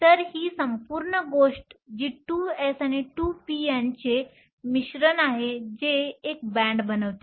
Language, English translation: Marathi, So, that this whole thing, which is the mixture of the 2 s and the 2 p forms a band